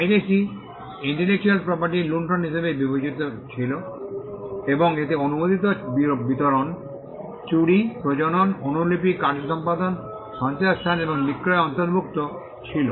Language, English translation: Bengali, Piracy was regarded as plundering of intellectual property and it included unauthorised distribution, theft, reproduction, copying, performance, storage and sale of the product